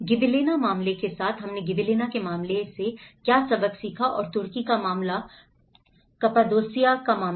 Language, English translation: Hindi, Along with the Gibellinaís case, what the lessons we have learned from Gibellina case and the Turkish case, Cappadocia case